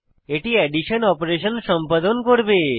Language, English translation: Bengali, This will perform the addition operation